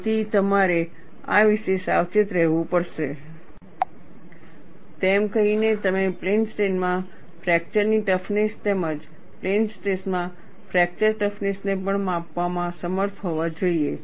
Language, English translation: Gujarati, Having said that, you should also be able to measure fracture toughness in plane strain as well as fracture toughness in plane stress